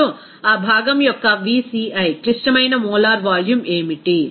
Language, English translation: Telugu, Now, what will be the Vci, critical molar volume of that component